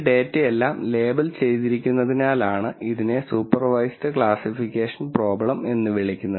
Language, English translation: Malayalam, We call this a supervised classification problem because all of this data is labeled